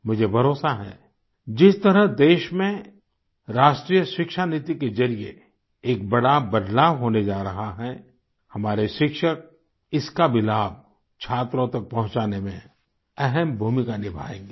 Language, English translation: Hindi, I am confident that the way National Education Policy is bringing about a tectonic shift in the nation and that our teachers will play a significant role in disseminating its benefits to our students